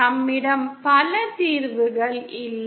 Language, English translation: Tamil, We donÕt have multiple solutions